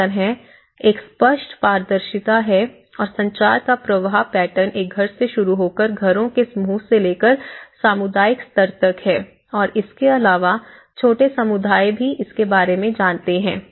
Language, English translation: Hindi, In that way, there is a clear transparency and there is a clear the flow pattern of the communication from starting from a household to group of households to the community level and also, you know across various smaller communities